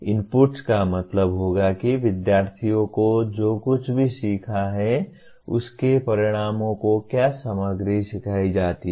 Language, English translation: Hindi, Inputs would mean what material is taught to the outcomes to what students have learned